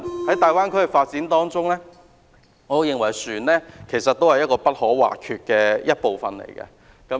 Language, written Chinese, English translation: Cantonese, 在大灣區的發展中，我認為船隻是不可或缺的部分。, In the development of the Greater Bay Area I think ferry service is indispensable